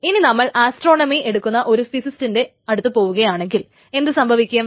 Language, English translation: Malayalam, On the other hand, you go to physicists who takes astronomy